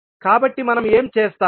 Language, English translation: Telugu, So, what will do